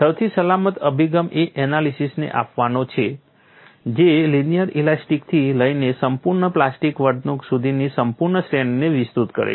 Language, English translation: Gujarati, The safest approach is to adopt an analysis that spans the entire range from linear elastic to fully plastic behavior